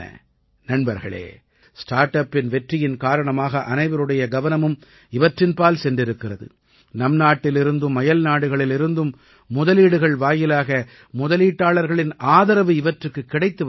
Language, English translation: Tamil, Friends, due to the success of StartUps, everyone has noticed them and the way they are getting support from investors from all over the country and abroad